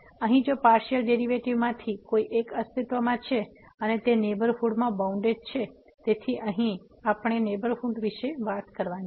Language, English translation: Gujarati, So, here if one of the partial derivatives exist and is bounded in the neighborhood; so, here we have to talk about the neighborhood